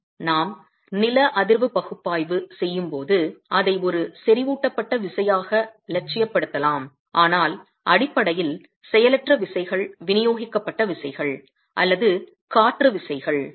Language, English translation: Tamil, Of course we can idealize it as a concentrated force when we do seismic analysis but basically the inertial force is a distributed force or wind forces air pressure on a wall